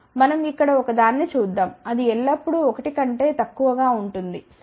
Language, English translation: Telugu, Suppose, we give one here it will be always less than 1 ok